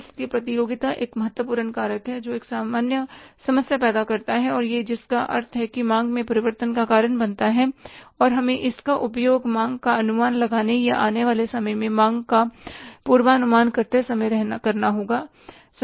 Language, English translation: Hindi, So, competition is another important factor which creates a problem which means causes the change in the demand and we have to make use of this while estimating the demand or forecasting the demand for the in the time to come